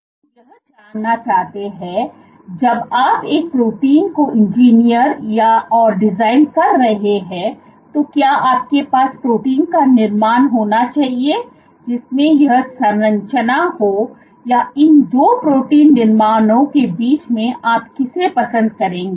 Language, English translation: Hindi, So, what we wish to know is when you design your when you engineer your protein, should you have a protein construct which has this structure versus, between these 2 protein constructs which one would you prefer